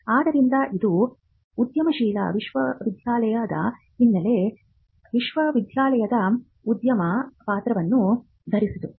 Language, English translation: Kannada, So, this is the background of the entrepreneurial university, the university donning the role of an entrepreneur